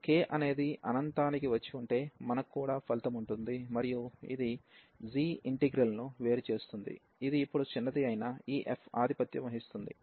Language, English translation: Telugu, And we have also the result if this k is come infinity, and this diverges the g integral which is the smaller one now this f dominates